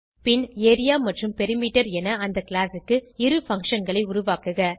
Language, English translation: Tamil, Then Create two functions of the class as Area and Perimeter